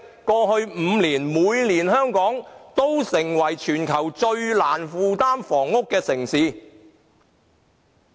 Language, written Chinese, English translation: Cantonese, 過去5年，每年香港都成為全球最難負擔房屋的城市。, Hong Kong was named the city with the most unaffordable housing in each of the past five years